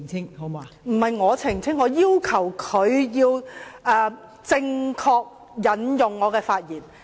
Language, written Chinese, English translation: Cantonese, 代理主席，不是由我澄清，我要求他正確引述我的發言。, Deputy President I should not be the one to make clarification . I demand him to quote my remarks correctly